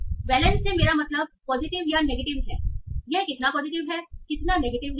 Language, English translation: Hindi, So by valence I mean positive or negative, how positive it is, how negative it is